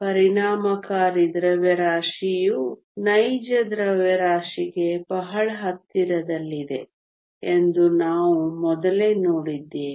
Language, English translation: Kannada, We saw earlier that the effective mass is very close to the real mass